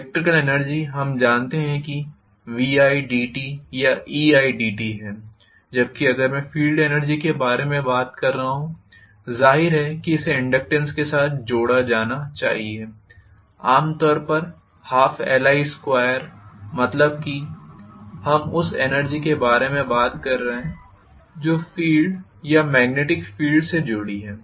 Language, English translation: Hindi, Electrical energy we know is V i dt or E i dt right, whereas if I am talking about field energy obviously it should be associated with inductance, so half l i square typically, that is what we are talking about as the energy that is associated with the field or magnetic field